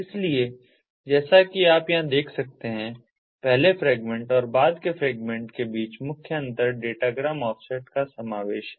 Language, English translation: Hindi, so, as you can see over here, the main difference between the first fragment and the subsequent fragments is the inclusion of the datagram offset